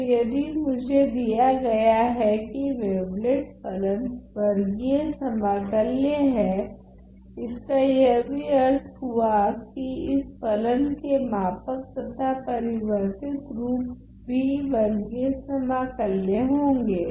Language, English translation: Hindi, So, if I am given that the wavelet function is square integrable well square integrable, it also means that the scaled and the shifted version of the function is also square integrable